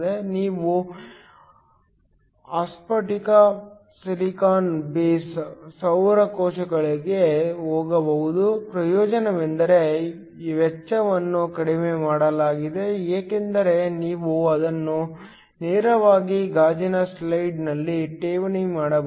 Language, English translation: Kannada, You could also go for amorphous silicon base solar cells; the advantage is that the cost is reduced because you can directly deposit these on a glass slide